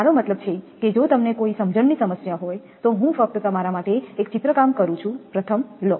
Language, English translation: Gujarati, I mean if you have any understanding problem that I am just drawing one for you